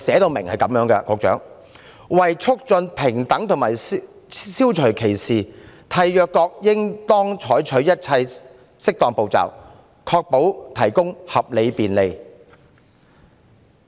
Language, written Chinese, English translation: Cantonese, 局長，《公約》訂明，為促進平等和消除歧視，締約國應當採取一切適當步驟，確保提供合理便利。, Secretary CRPD states that in order to promote equality and eliminate discrimination States Parties shall take all appropriate steps to ensure that reasonable accommodation is provided